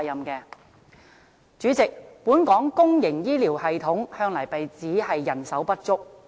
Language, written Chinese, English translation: Cantonese, 代理主席，本港公營醫療系統向來被指人手不足。, Deputy President the public healthcare system in Hong Kong has always been criticized for its manpower shortage